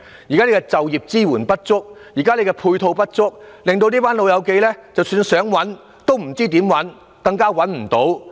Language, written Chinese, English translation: Cantonese, 現時就業支援配套不足，令到這群"老友記"不知道怎麼找工作，亦找不到工作。, At present the supporting services for employment are inadequate and these old folks do not know how to find a job and they cannot secure employment